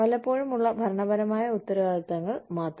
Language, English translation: Malayalam, It is just occasional administrative responsibilities